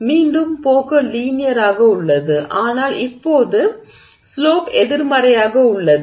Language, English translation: Tamil, So, again the trend is linear but the slope is now negative